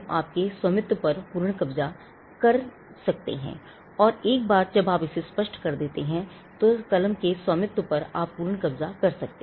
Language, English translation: Hindi, You could have complete possession and once you clear it off, then you could have complete possession on ownership of the pen